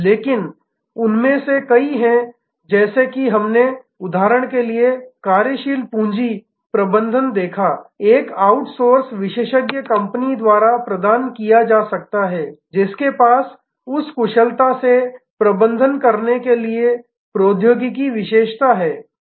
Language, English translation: Hindi, But, many of them are as we saw working capital management for example, can be provided by a outsourced specialist company, who has the technology expertise to manage that most efficiently